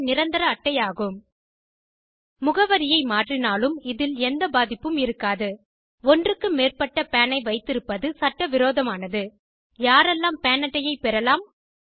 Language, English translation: Tamil, PAN is unique, national and permanent It is unaffected by the change of address It is illegal to own more than one PAN Who all can get a PAN card